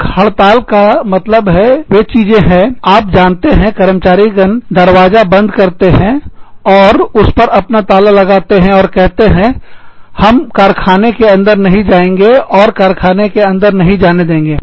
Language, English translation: Hindi, A strike means, that things, you know, the employees may just lock the door, and put their own lock on the door, and say, we will not enter the factory, and we will not let you, enter the factory